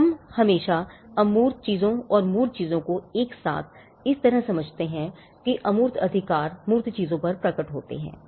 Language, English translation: Hindi, So, we always understand as intangible things and the tangible things together in such a way that the intangible rights manifest over tangible things